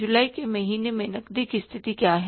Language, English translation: Hindi, What is the cash position in the month of July